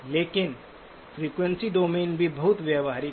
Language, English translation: Hindi, But the frequency domain is also very insightful